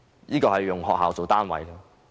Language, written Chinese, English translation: Cantonese, 這是以學校為單位。, That is the number of kindergartens